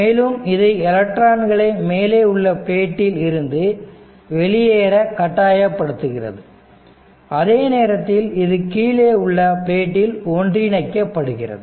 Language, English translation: Tamil, And this electric field forces electrons to leave the upper plate at the same rate that they accumulate on the lower plate right